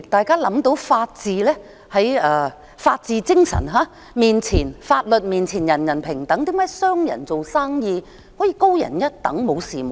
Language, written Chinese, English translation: Cantonese, 根據法治精神，在法律面前人人平等，為何商人做生意便可以高人一等？, According to the rule of law everyone is equal before the law . Why then should businessmen be superior to others?